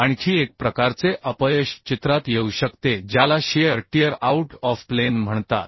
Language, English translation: Marathi, Another type of failure may come in to picture also which is called shear tear out of plane